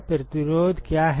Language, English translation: Hindi, What is this resistance